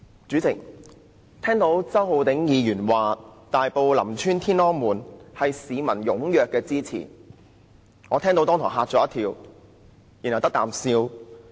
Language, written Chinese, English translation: Cantonese, 主席，我聽到周浩鼎議員說，大埔林村"天安門"的改善工程得到市民踴躍支持，立時驚一跳，然後"得啖笑"。, President I just heard Mr Holden CHOW say that the public strongly support the Tiananmen Square project . I was startled on hearing that remark of his and then thought it was just a joke